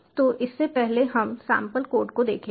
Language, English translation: Hindi, so prior to this, well, look at the sample code